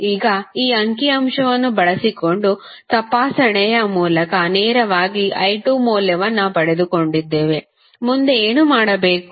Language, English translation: Kannada, Now, we got the value of i 2 straightaway through inspection using this figure, what we have to do next